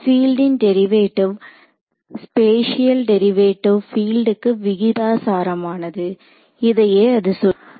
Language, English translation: Tamil, Derivative spatial derivative of the field is proportional to the field that is what it is saying right